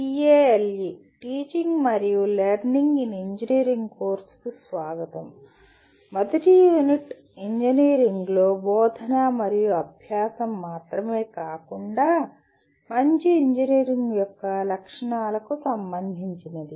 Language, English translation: Telugu, Welcome to the course TALE, Teaching and Learning in Engineering and the first unit is concerned with not only teaching and learning in engineering but also the characteristics of a good engineer